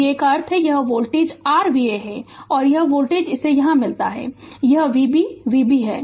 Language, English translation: Hindi, V a means this voltage this is your V a and this voltage say meeting it here this is V b V b right